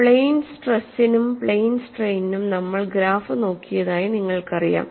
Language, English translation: Malayalam, You know we have looked at the graph for the plane stress as well as plane strain; now you look at the graph of this plane stress